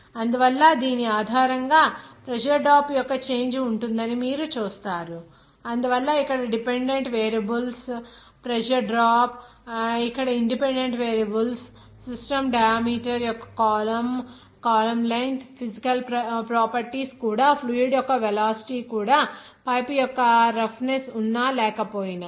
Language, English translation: Telugu, So based on which you will see that there will be a change of pressure drop so that why here dependent variables pressure drop where independent variables physical properties of system diameter of column length of column even velocity of the fluid even there is any roughness of pipe or not